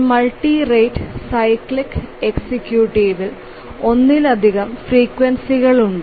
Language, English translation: Malayalam, On a multi rate cyclic executing, as the name says that there are multiple frequencies